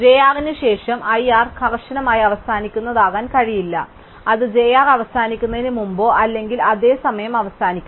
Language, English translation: Malayalam, It cannot be that i r ends strictly after j r, it must end before or at the same time as j r